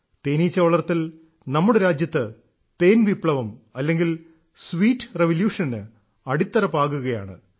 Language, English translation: Malayalam, Bee farming is becoming the foundation of a honey revolution or sweet revolution in the country